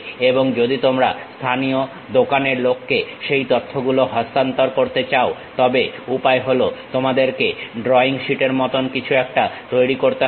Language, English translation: Bengali, And you want to transfer that information to someone like local shop guy, then the way is you make something like a drawing sheet